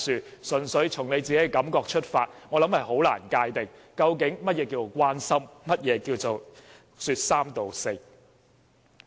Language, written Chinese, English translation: Cantonese, 如果純粹從你本身的感覺出發，我想難以界定究竟何謂關心及說三道四。, If you interpret a remark solely by how you feel about it I think it will be difficult for you to differentiate an expression of concern from an irresponsible comment